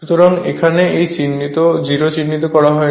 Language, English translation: Bengali, So, at this 0 is not marked here